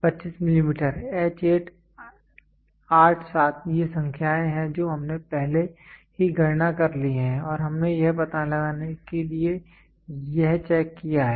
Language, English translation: Hindi, 25 millimeter H 8; 8 7 these are numbers which we have already done calculations and we have figured it out to be checked